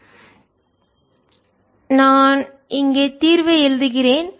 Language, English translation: Tamil, so i am writing the ah, the solution here